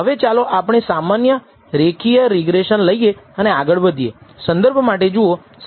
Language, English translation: Gujarati, Now let us take only the simple linear regression and go further